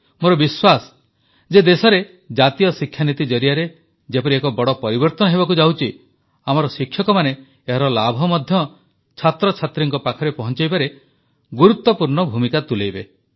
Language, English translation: Odia, I am confident that the way National Education Policy is bringing about a tectonic shift in the nation and that our teachers will play a significant role in disseminating its benefits to our students